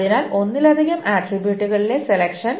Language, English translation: Malayalam, So, the selection on multiple attributes